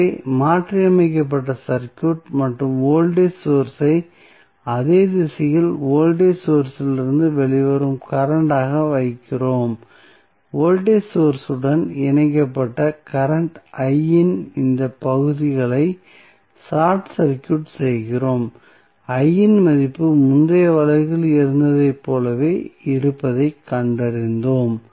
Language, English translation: Tamil, So, the circuit which is modified and we place the voltage source in such a way that it is the current coming out of the voltage sources in the same direction and we short circuit the current I these segment where the voltage source was connected and we found that the value of I is same as it was there in the previous case